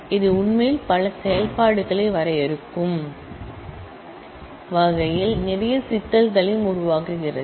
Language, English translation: Tamil, It actually creates a lot of issues and complications in terms of defining many operations